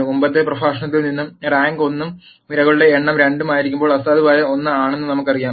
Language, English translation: Malayalam, And from the previous lecture we know that when the rank is 1 and the number of columns are 2 the nullity is 1